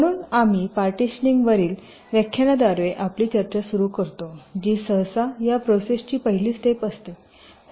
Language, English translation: Marathi, so we start our discussion with a lecture on partitioning, which is usually the first step in this process